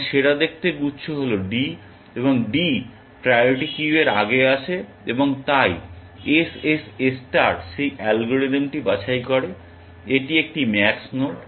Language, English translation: Bengali, And the best looking cluster is d, and d comes to ahead of the priority queue and so, SSS star picks that algorithm, it is a max node